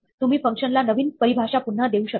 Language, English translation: Marathi, You can reassign a new definition to a function